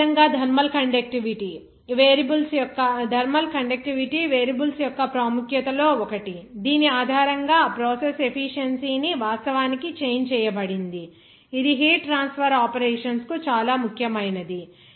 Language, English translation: Telugu, Similarly, thermal conductivity also one of the importance of variables based on which that process efficiency actually changed that basically for the heat transfer operations, it is very important